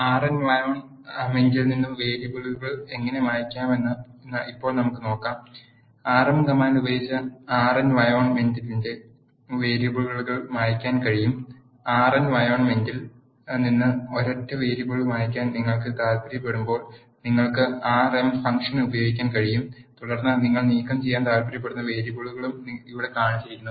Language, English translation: Malayalam, Now, let us see how to clear the variables from the R environment you can clear the variables on the R environment using rm command, when you want to clear a single variable from the R environment you can use the rm function has shown here rm followed by the variable you want to remove